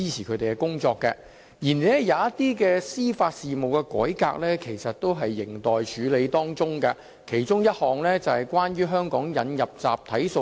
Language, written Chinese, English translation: Cantonese, 然而，有一些司法事務改革仍有待處理，其中之一是在香港引入集體訴訟。, Having said that I must add that some judicial reforms are still pending one of which is the introduction of a class action regime to Hong Kong